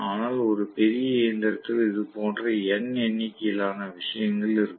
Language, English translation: Tamil, But there will be n number of such things in a bigger machine